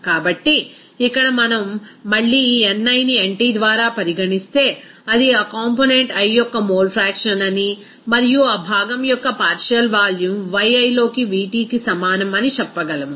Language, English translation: Telugu, So, here we can say that again if we consider this ni by nt that will be mole fraction of that component i and then simply partial volume of that component i will be is equal to Vt into Yi